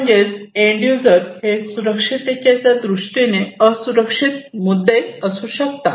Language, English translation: Marathi, So, these end users can be the vulnerable points in terms of security